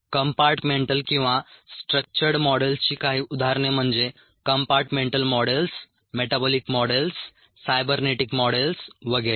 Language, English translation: Marathi, ok, some examples of the compartmental or the structured models are compartmental models, metabolic models, cybernetic models and so on, so forth, ah be